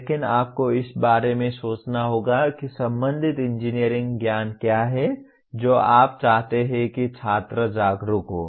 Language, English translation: Hindi, But you have to think in terms of what is the relevant engineering knowledge that you want the student to be aware of